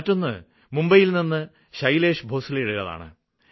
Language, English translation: Malayalam, Someone just told me that there is one Shailesh Bhosle in Mumbai